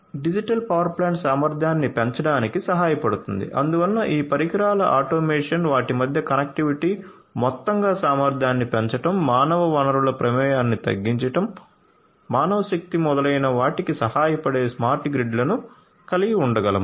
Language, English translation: Telugu, A digital power plant can help increase the efficiency so we can have smart grids which can help in automated devices we are automation, automation of these devices connectivity between them, overall increasing the efficiency, reducing the involvement of human resources, manpower and so on